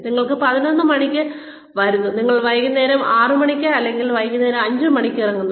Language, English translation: Malayalam, And you say, you come at eleven, you leave at, six in the evening, or five in the evening